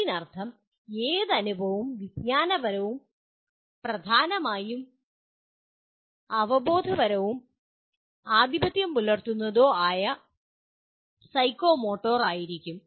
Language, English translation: Malayalam, That means dominantly any experience will be either cognitive, dominantly cognitive, dominantly affective, or psychomotor